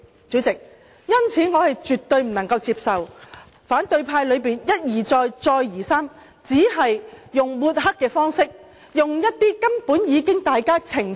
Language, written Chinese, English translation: Cantonese, 主席，因此我絕對不能接受反對派一而再，再而三用抹黑的方式說歪理，我們根本已多次澄清。, President I thus absolutely cannot accept the fallacious arguments which the opposition has been using to discredit the co - location arrangement . We have made repeated clarifications . But they keep repeating their arguments